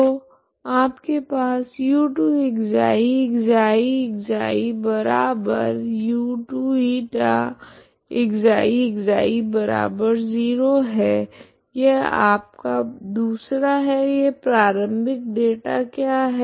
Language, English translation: Hindi, So you have u2ξ( ξ , ξ )−u2η( ξ ,ξ )=0 that is thes second what is this initial data